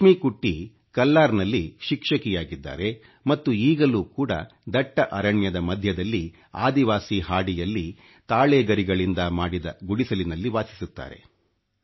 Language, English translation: Kannada, Laxmikutty is a teacher in Kallar and still resides in a hut made of palm leaves in a tribal tract amidst dense forests